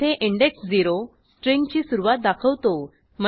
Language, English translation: Marathi, Here index 0 specifies start of a string, i.e